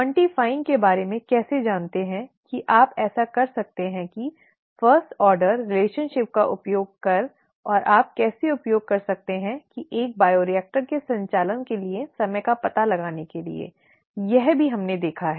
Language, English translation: Hindi, How do you go about quantifying that you can do that using the first order relationship and how you could use that to find out the time for operation of a bioreactor, that also we saw